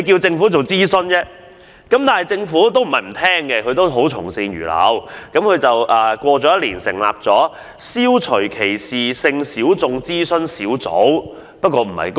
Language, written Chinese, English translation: Cantonese, 政府並非沒有聆聽，之後亦從善如流，在一年後成立了消除歧視性小眾諮詢小組。, The Government was not totally unresponsive to the motion and it followed her advice―one year later it established the Advisory Group on Eliminating Discrimination against Sexual Minorities